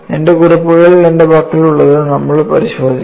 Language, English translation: Malayalam, So, we will have a look at what I have in my notes